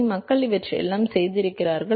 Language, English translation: Tamil, So, people have done all these things